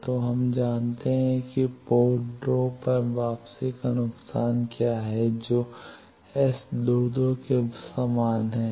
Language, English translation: Hindi, So, we know that what is the return loss at port 2 that is same as S 22, s22 is point to these